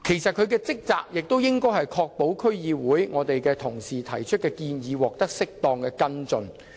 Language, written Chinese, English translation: Cantonese, 他們的職責應是確保區議會同事提出的建議獲得適當跟進。, Their duties should be to ensure that proposals from DC members are duly followed up